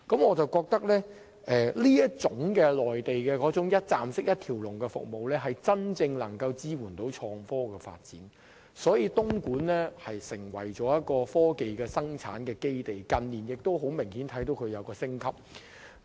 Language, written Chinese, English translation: Cantonese, 我認為，內地這種"一站式"、"一條龍"的服務，能夠真正支援創科發展，使東莞得以成為科技生產基地，近年更明顯做到產業升級。, In my view such kind of one - stop service in the Mainland can provide genuine support for IT development turning Dongguan into a technology production base where significant industrial upgrade has been made in recent years